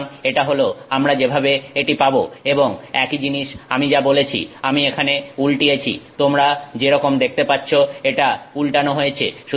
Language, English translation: Bengali, So, this is how we get it and the same thing like I said we have inverted here which is inverted is what you see